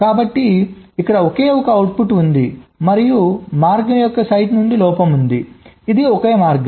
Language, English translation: Telugu, so here there is a single output, and from the site of the path there is a fault